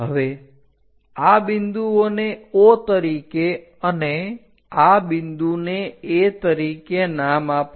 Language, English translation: Gujarati, Now, name these points as O and this point as A